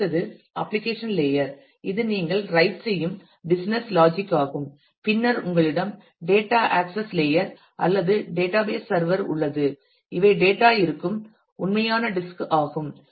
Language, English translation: Tamil, The next is the application layer which is the business logic where you write and then you have the data access layer or the database server and these are the actual disk where the data exist